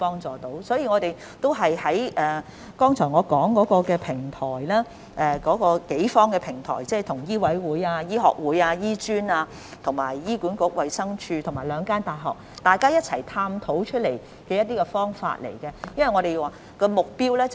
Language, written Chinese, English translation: Cantonese, 這就是我剛才提及的多方平台，食物及衞生局與醫委會、香港醫學會、醫專、醫管局、衞生署及兩間大學共同探討增加醫生人手的方法。, This is exactly the multi - party platform that I just mentioned whereby the Food and Health Bureau explore ways to increase the supply of doctors together with MCHK the Hong Kong Medical Association HKAM HA the Department of Health DH and the two universities